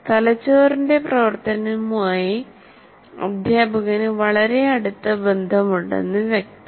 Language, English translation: Malayalam, So obviously, teacher has very, very close relationship with the functioning of the brain